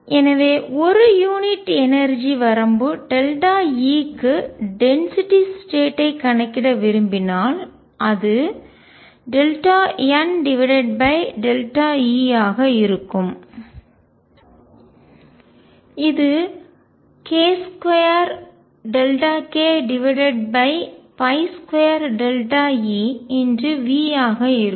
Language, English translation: Tamil, So, if I want to calculate the density of states per unit energy range, delta E will be delta n over delta E which will be k square delta k over pi square delta E times v